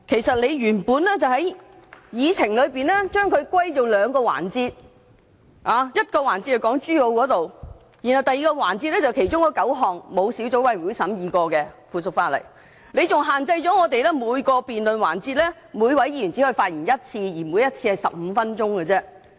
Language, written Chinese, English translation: Cantonese, 主席原本將這些事項歸納為兩個環節，其一涉及港珠澳大橋事宜，第二個環節則涉及9項未經小組委員會審議的附屬法例，他更限制每位議員在每個辯論環節只可發言1次，每次只得15分鐘。, The President has originally divided such issues into two groups and one debate session will be held for each group . The first debate session is on matters relating to the Hong Kong - Zhuhai - Macao Bridge while the second one is on the nine pieces of subsidiary legislation which has not been studied by subcommittees . Restrictions have also been imposed so that each Member can only speak once in each debate session for 15 minutes